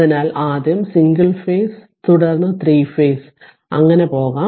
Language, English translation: Malayalam, So, we start first single phase then 3 phase right